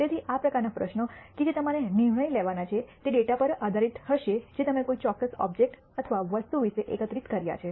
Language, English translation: Gujarati, So, these kind of questions that are decisions that you have to make will be based on data that you have gathered about the particular object or item